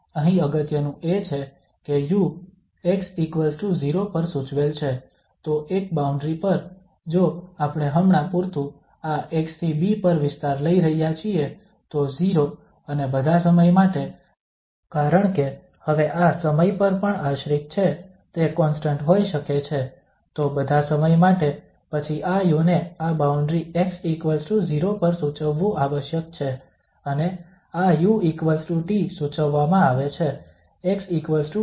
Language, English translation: Gujarati, The important here is that u is prescribed at x equal to 0 so at one boundary if we are taking domain from this x to b for instance, so at 0 and for all time because now this may depend on time also, it may be constant, so for all time then this u must be prescribed at this boundary x equal to 0, and this u equal to T is prescribed for example, at x equal to b